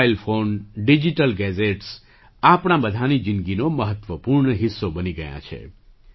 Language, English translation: Gujarati, Mobile phones and digital gadgets have become an important part of everyone's life